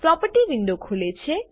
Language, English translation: Gujarati, Property window opens